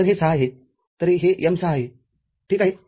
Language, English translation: Marathi, So, this is m6 ok